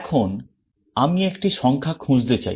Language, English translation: Bengali, Now, I want to search for a number